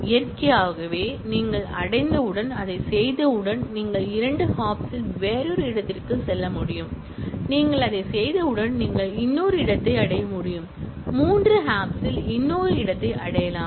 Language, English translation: Tamil, Naturally, once you reach, once you do that then you may be able to go to another destination in two hops and once you do that then, you may be able to reach another, yet another destination in three hops and so on